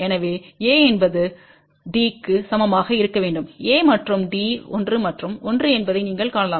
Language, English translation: Tamil, So, A should be equal to D, you can see that a and D are 1 and 1